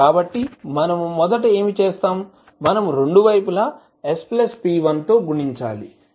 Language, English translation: Telugu, So, what we will do first, we will multiply both side by s plus p1